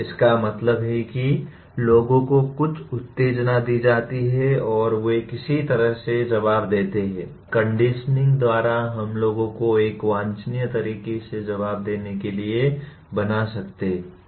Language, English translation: Hindi, That means people are given some stimuli and they respond in some way by conditioning we can make people to respond in a desirable way